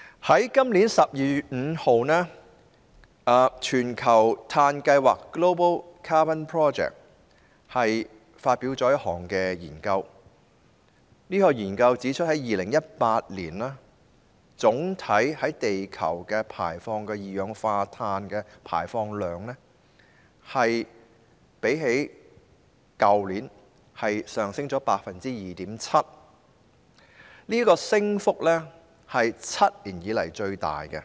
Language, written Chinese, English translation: Cantonese, 在今年12月5日，全球碳計劃發表了一項研究結果，指出2018年地球總體二氧化碳排放量較去年上升 2.7%， 這是7年以來最大的升幅。, On 5 December this year the Global Carbon Project published the study finding that the global carbon dioxide emissions in 2018 rose by 2.7 % compared to the previous year representing the biggest increase in seven years